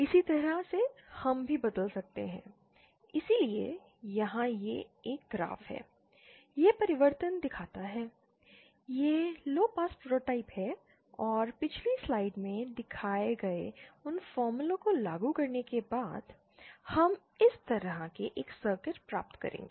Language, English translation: Hindi, Similarly we can also transform from, so here this is a graph, this shows the transformation, these are the lowpass prototypes and after applying those formulas that are shown in the previous slide, we will get a circuit like this